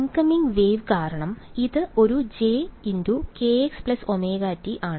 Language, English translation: Malayalam, Incoming wave because, it is a j k x plus omega t right